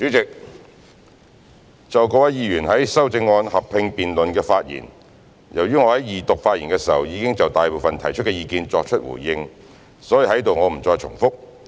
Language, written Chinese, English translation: Cantonese, 代理主席，就各位議員在修正案合併辯論的發言，由於我在二讀發言時已就大部分提出的意見作出回應，所以在此我不再重複。, Deputy Chairman regarding the speeches made by Members during the joint debate of the amendments as I have responded in my speech at the Second Reading to most of the views expressed I will not repeat here